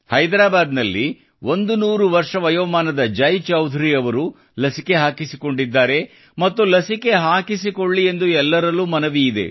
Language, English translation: Kannada, 100 year old Jai Chaudhary from Hyderabad has taken the vaccine and it's an appeal to all to take the vaccine